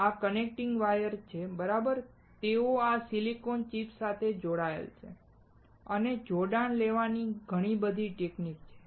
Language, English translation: Gujarati, These connecting wires right, they are connected to this silicone chip and there are several techniques to take connection